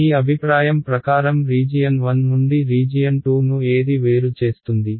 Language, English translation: Telugu, What differentiates region 1 from region 2 in your opinion